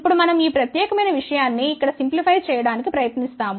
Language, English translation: Telugu, Now, we try to simplify this particular thing over here, right